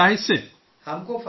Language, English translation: Urdu, We are benefited